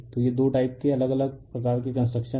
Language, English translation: Hindi, So, these are the two type differenttwo different type of construction